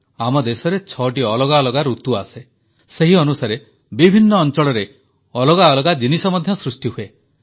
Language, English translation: Odia, There are six different seasons in our country, different regions produce diverse crops according to the respective climate